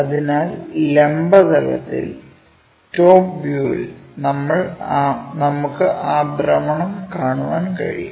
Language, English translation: Malayalam, So, that in the vertical plane, ah top view we can see that rotation